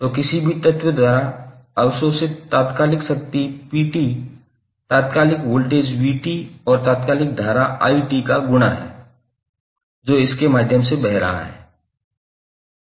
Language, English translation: Hindi, So instantaneous power P absorbed by any element is the product of instantaneous voltage V and the instantaneous current I, which is flowing through it